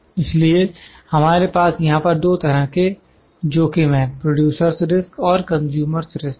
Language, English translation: Hindi, So, we have two kinds of risks here, the producer’s risk and consumer’s risk